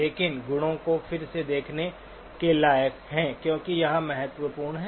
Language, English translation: Hindi, But worth revisiting the properties because that is important